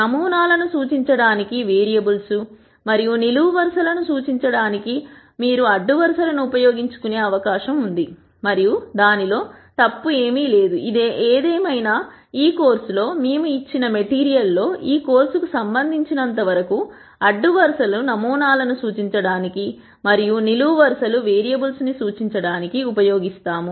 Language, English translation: Telugu, It is possible that you might want to use rows to represent variables and columns to represent samples and there is nothing wrong with that; however, in this course and all the material that we present in this course we will stick to using rows to represent samples and columns to represent variables as far as this course is concerned